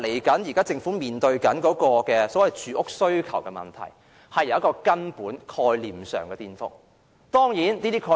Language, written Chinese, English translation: Cantonese, 政府將來面對的住屋需求問題，出現根本概念上的顛覆。, Fundamental concepts will be overturned when the Government tackles the problem of housing demand in the future